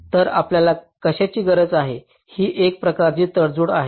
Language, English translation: Marathi, so what we need is some kind of a compromise